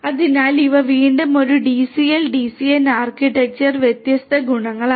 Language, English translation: Malayalam, So, these are once again these different properties of a DCell DCN architecture